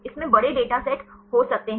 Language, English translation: Hindi, It can have the large data sets